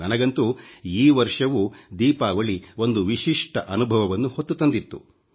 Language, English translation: Kannada, To me, Diwali brought a special experience